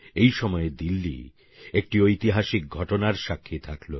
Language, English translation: Bengali, In such an atmosphere, Delhi witnessed a historic event